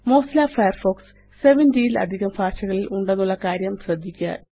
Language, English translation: Malayalam, Notice that Mozilla offers Firefox in over 70 languages